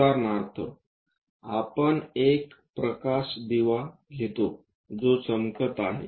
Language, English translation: Marathi, For example, let us takes a light lamp which is shining light